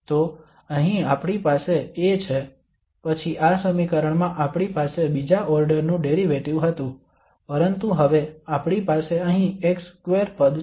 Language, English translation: Gujarati, So here we have A then in this equation we had second order derivative but now we have here x square term